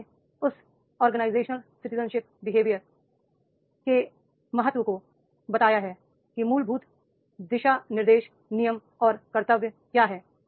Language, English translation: Hindi, So in that citizenship behavior it becomes very important what are the fundamental guidelines, rules and duties